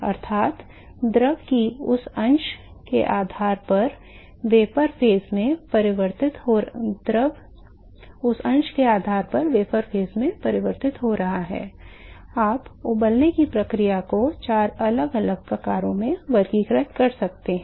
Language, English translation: Hindi, That is, based on the fraction of the fluid which is converted into vapor phase you can classify the boiling process into four different types